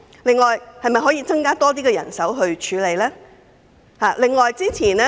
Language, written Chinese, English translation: Cantonese, 此外，當局是否可以增加更多人手作出處理？, Moreover can the Administration increase manpower to process the cases?